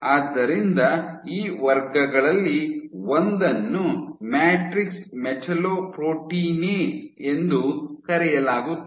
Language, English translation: Kannada, So, one of thus classes are called matrix metallo proteinases